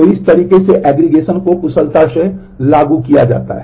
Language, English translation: Hindi, So, in this manner the aggregation can be efficiently implemented